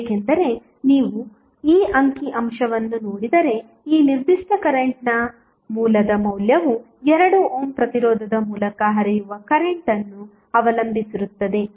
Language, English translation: Kannada, Because if you see this figure the value of this particular current source is depending upon the current flowing through 2 ohm resistance